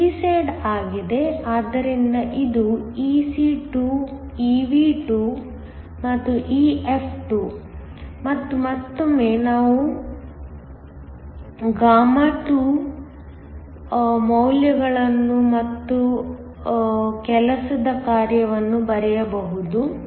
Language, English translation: Kannada, This is the p side, so this is Ec2, Ev2, this is EF2 and once again we can write down values χ2 and the work function